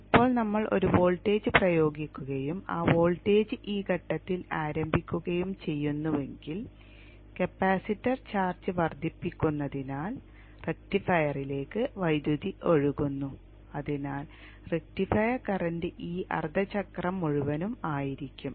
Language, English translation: Malayalam, Now if we apply a voltage and if by chance that voltage is starting at this point then you will see that the capacitor build up the charge gradually from here on up to this point so as the capacitor is building up the charge there is current flow to the rectifier and therefore the rectifier current will be for this whole half cycle